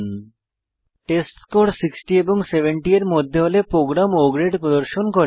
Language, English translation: Bengali, Here if the testScore is between 60 and 70 the program will display O Grade